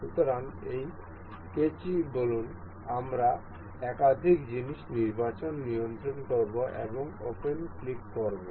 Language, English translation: Bengali, So say this scissor, we will control select multiple things and click on open